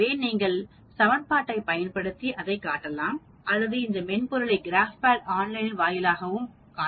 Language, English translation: Tamil, So you can see that we can show it using this equation or we can go to that software GraphPad online and then get the same answer